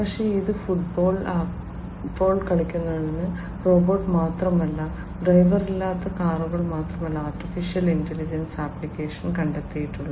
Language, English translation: Malayalam, But, it is not just robot playing soccer, it is not just the driverless cars where, AI has found application